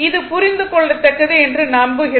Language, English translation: Tamil, So, hope this is understandable to you